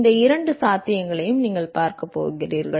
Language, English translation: Tamil, You are going to look at both these possibilities